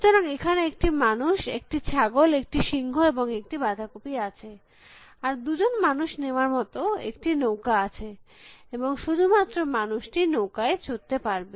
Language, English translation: Bengali, So, there is a man, there is a goat, there is a lion and there is the cabbage and there is a boat of size two and only the man can rode the boat